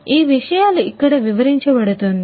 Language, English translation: Telugu, So, these things are going to be explained over here